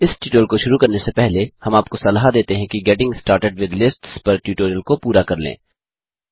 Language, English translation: Hindi, Before beginning this tutorial,we would suggest you to complete the tutorial on Getting started with Lists